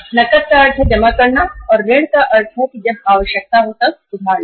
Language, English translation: Hindi, Cash means depositing and credit means borrowing as and when there is a need